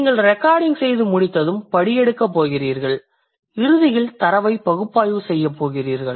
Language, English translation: Tamil, Then you're going to transcribe and eventually you're going to analyze the data